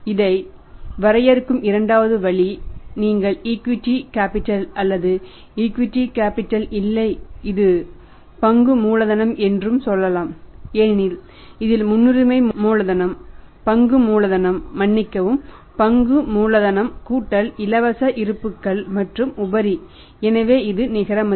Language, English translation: Tamil, Second way of defining this that you take the equity capital equity capital or you can say not Capital I will call it as this is Share Capital because it includes the preference capital also share capital sorry share capital plus the reserve and surplus that is free reserves and surplus so it is also the net worth